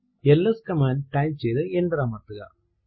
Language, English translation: Malayalam, Type the command ls and press enter